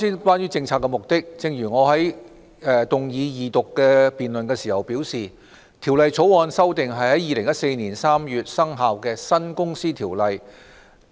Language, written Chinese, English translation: Cantonese, 關於政策目的，正如我動議二讀辯論時表示，《條例草案》旨在修訂在2014年3月生效的新《公司條例》。, As regards the policy objective as I have said in moving the Second Reading the Bill seeks to amend the new Companies Ordinance Cap . 622 which commenced operation in March 2014